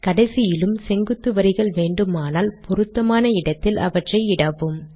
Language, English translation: Tamil, If you want vertical lines at the end also, put them at appropriate places